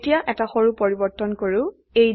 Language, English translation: Assamese, Now, let us make a small change